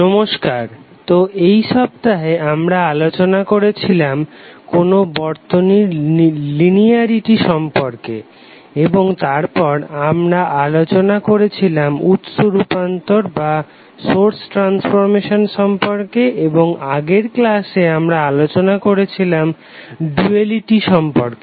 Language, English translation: Bengali, Namaskar, So in this week, we discuss about linearity of the circuit and then we discuss about the source transformation and in last class we discuss about duality